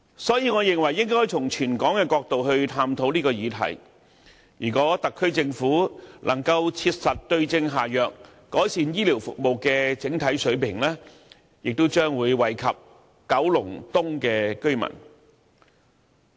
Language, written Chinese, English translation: Cantonese, 所以，我認為應該從全港的角度去探討這個議題，如果特區政府能夠切實對症下藥，改善醫療服務的整體水平，也將惠及九龍東的居民。, Therefore I believe we should look at this issue from a territory - wide perspective . If the Government can prescribe the right remedy to the illness and improve the overall standard of healthcare services residents of Kowloon East will also benefit from it